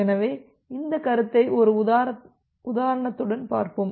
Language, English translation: Tamil, So, let us look into an example in details to clear this concept